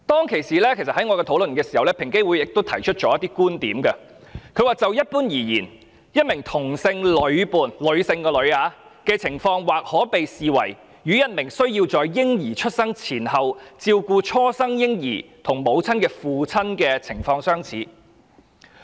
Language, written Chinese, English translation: Cantonese, 其實，平等機會委員會亦提出了一些觀點，它指出：就一般而言，一名同性女伴的情況，或可被視為與一名需要在嬰兒出生前後照顧初生嬰兒及母親的父親的情況相似。, In fact the Equal Opportunities Commission EOC also has raised some points of view . It says that in terms of general equality the female same - sex partner may be regarded as being in a similar position to a father who has to take care of the newborn and the mother around the time of childbirth